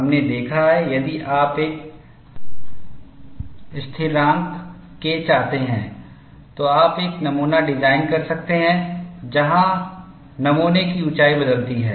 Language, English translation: Hindi, We have seen, if you want to have a constant K, you could design a specimen where the height of the specimen varies